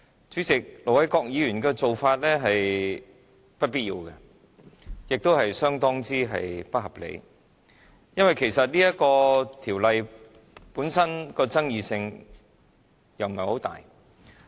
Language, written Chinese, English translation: Cantonese, 主席，盧偉國議員的做法是不必要，也是相當不合理的，因為其實這項修訂規則本身的爭議性不大。, President what Ir Dr LO Wai - kwok did is unnecessary and very irrational because the Amendment Rules themselves are in fact not quite controversial